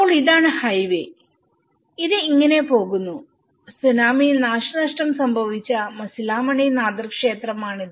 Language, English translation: Malayalam, So, this is the highway and it goes like this and this is a Masilamani nadhar temple which caused damage during the tsunami